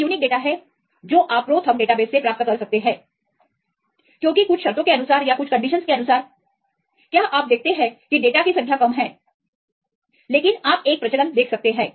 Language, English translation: Hindi, These are unique data you can get from these ProTherm database because of some conditions, do you see the number of data are less, but you can see a trend